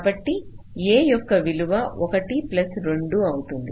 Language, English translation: Telugu, ok, so the value of a here will be one plus two